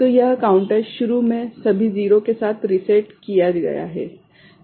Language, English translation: Hindi, So, that counter is initially reset with all 0 ok